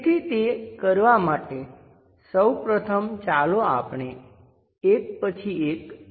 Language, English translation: Gujarati, So, to do that, first of all let us look at step by step